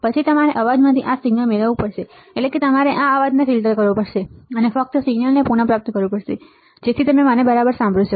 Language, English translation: Gujarati, Then you have to retrieve this signal from the noise right that means, you have to filter out this noise and retrieve only the signal, so that you can hear it clearly all right